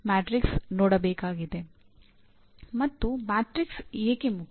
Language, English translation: Kannada, And why is the matrix important